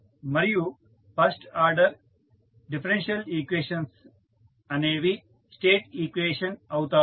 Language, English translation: Telugu, And the first order differential equations are the state equation